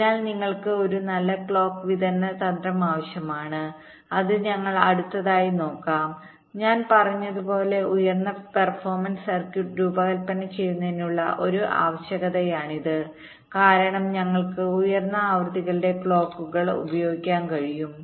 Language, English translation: Malayalam, so you need a good clock distribution strategy, which we shall be looking at next, and, as i have said, this is a requirement for designing high performance circuit, because we can use clocks of higher frequencies